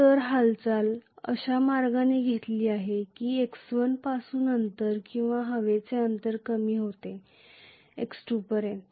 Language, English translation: Marathi, So the movement has taken in such a way taken place in such a way that from x1 the distance or the air gap has decreased to x2